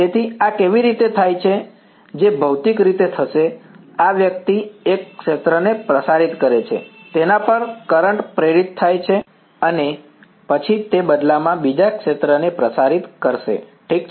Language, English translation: Gujarati, So, how does this what will happen physically is, this guy radiates a field, current is induced on it right and then that in turn will radiate another field ok